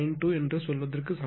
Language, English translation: Tamil, 9 to that is 92 percent means 0